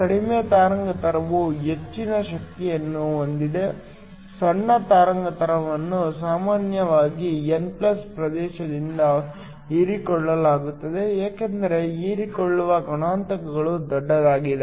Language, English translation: Kannada, Shorter the wavelength higher the energy, the short wavelengths are usually absorbed by the n+ region because the absorption coefficient is large